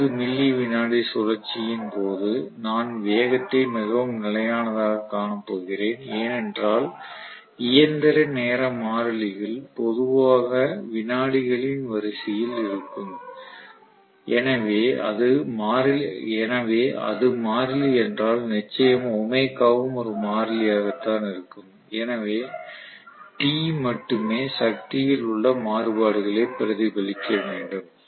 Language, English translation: Tamil, During 20 milli second cycle I am going to see the speed fairly as constant because the mechanical time constants are generally of the order of seconds okay so if that is the constant very clearly omega is a constant so T has to essentially reflect the variations in P right, in power